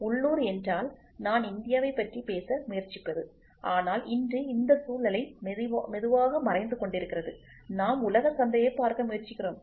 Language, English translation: Tamil, Local means what I was trying to talk about India, but today this scenario is slowly dying we are trying to look at global market